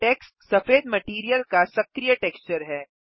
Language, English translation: Hindi, Tex is the White materials active texture